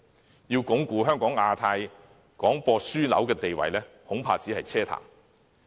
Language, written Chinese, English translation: Cantonese, 若說要鞏固香港的亞太區廣播樞紐地位，恐怕只是奢談。, It follows that any discussion on entrenching Hong Kongs status as a broadcasting hub in Asia - Pacific may well be empty talks